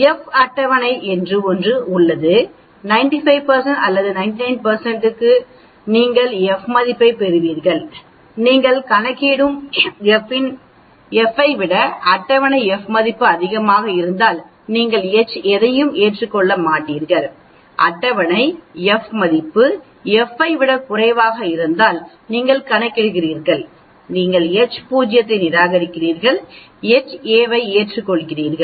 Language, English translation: Tamil, There is a table called F table, for a 95 % or 99 % you will get F value and if the table F value is greater than the F you calculate, then you accept H naught and if the table F value is less than the F you calculate, you reject H naught and accept H a